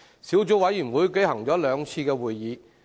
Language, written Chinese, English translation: Cantonese, 小組委員會舉行了兩次會議。, The Subcommittee has held two meetings